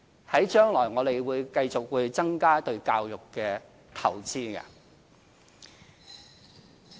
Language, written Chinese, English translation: Cantonese, 在將來，我們會繼續增加對教育的投資。, We will continue increasing future investment in education